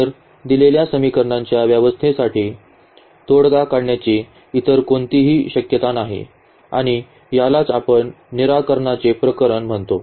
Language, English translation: Marathi, So, there is no other possibility to have a solution for this given system of equations and this is what we call the case of a unique solution